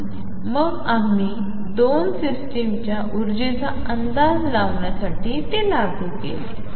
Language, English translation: Marathi, And then we applied it to estimate energies of 2 systems